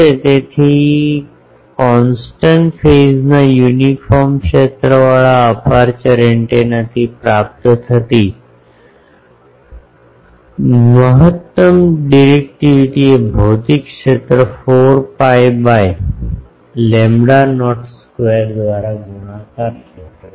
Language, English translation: Gujarati, So, the maximum directivity obtainable from an aperture antenna with a constant phase uniform field is physical area multiplied by 4 pi by lambda not square; very simple formula easy to remember